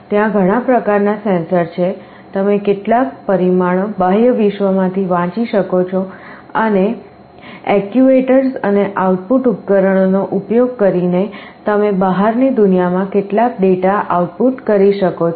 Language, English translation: Gujarati, There are so many kinds of sensors, you can read some parameters from the outside world and using actuators and output devices, you can output some data to the outside world